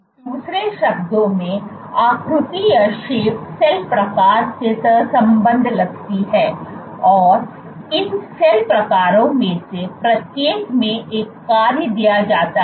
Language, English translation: Hindi, In other words, shape seems to be correlated to cell type and each of these cell types has a given function